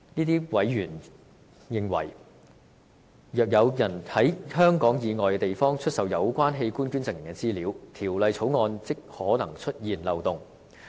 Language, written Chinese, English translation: Cantonese, 他們認為，若有人在香港以外地方出售有關器官捐贈人的資料，《條例草案》即可能出現漏洞。, They think that the possibility of organ donors information being sold outside Hong Kong may create a loophole in the Bill